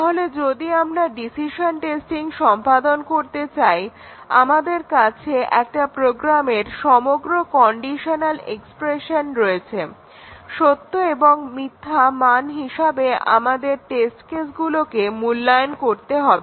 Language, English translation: Bengali, So, decision testing if we are doing that is we are having entire conditional expression in a program; the test cases just evaluate them to true and false